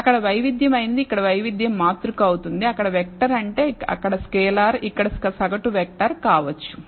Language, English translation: Telugu, What was a variance there it will become a variance covariance matrix here, what was a vector there scalar there might mean scalar might become a mean vector here